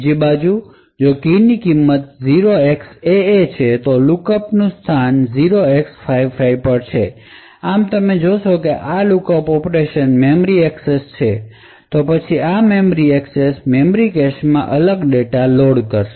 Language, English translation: Gujarati, On the other hand if the key had the value 0xAA then the lookup is to a location 0x55, thus you see that this lookup operation over here is essentially a memory access, right then this memory access is going to load a different data in the cache memory